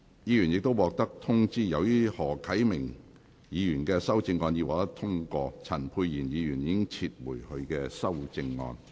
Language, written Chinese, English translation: Cantonese, 議員已獲通知，由於何啟明議員的修正案獲得通過，陳沛然議員已撤回他的修正案。, Members have already been informed as Mr HO Kai - mings amendment has been passed Dr Pierre CHAN has withdrawn his amendment